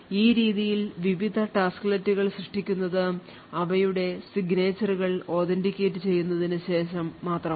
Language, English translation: Malayalam, So in this way various tasklet are created only after their signatures are authenticated